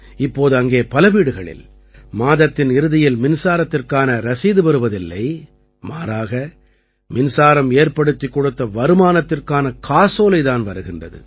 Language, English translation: Tamil, Now in many houses there, there is no electricity bill at the end of the month; instead, a check from the electricity income is being generated